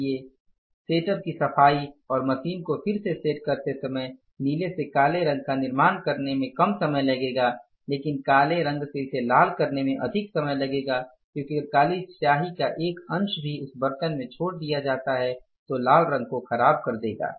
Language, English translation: Hindi, So, cleaning of the setup and resetting up with the machine while manufacturing blue to black will take lesser time but from black to red it will take more time because even aorta of the black ink if it is left in that vessel then that will disturb the color